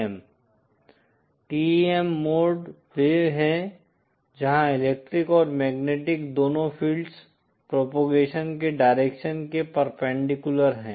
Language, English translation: Hindi, TEM modes are where both the electric and magnetic field are perpendicular to the direction of propagation